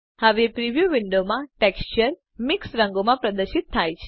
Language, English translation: Gujarati, Now the texture in the preview window is displayed in a mix of colors